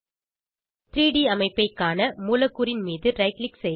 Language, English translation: Tamil, To view the structure in 3D, right click on the molecule